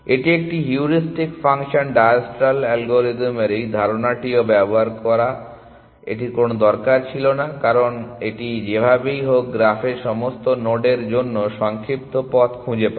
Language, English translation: Bengali, It also uses this idea of a heuristic function diastral algorithm did not need to do this because it was anyway going to find shorter path to all nodes in the graph essentially